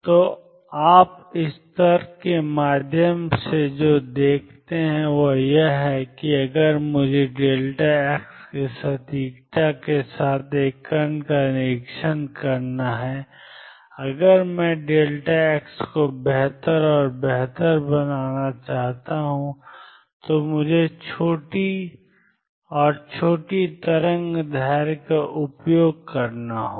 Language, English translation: Hindi, So, what you see through this argument is that if I were to observe a particle with an accuracy of delta x, if I want to make delta x better and better I have to use shorter and shorter wavelength